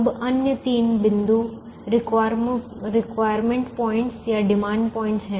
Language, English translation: Hindi, now the other three points are the requirement points, are the demand points